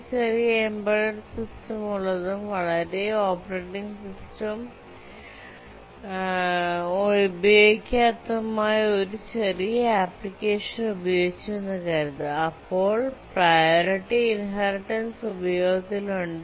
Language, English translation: Malayalam, If you are using a very small application, a small embedded system which hardly has a operating system, then the priority inheritance protocol is the one to use